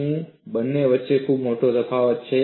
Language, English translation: Gujarati, Is there very great difference between the two